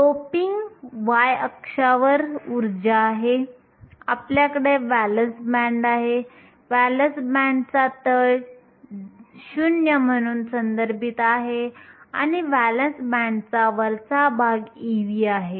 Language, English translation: Marathi, We have energy on the y axis, we have a valence band, the bottom of the valence band is referenced as 0 and the top of the valence band is e v